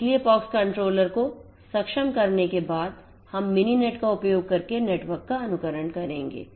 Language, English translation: Hindi, So, after enabling the pox controller will enable will emulate the network using Mininet